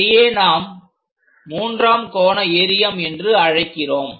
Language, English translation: Tamil, Such kind of things what we call third angle system